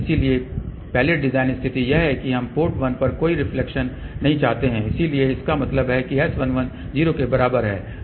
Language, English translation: Hindi, So, the first design condition is we do not want any reflection at port 1 so that means, S 11 is equal to 0